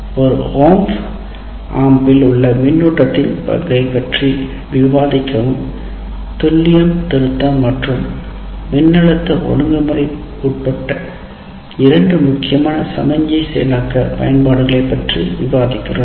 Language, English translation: Tamil, Discuss the role of feedback around an op amp in achieving the two important signal processing applications including precision rectification and voltage regulation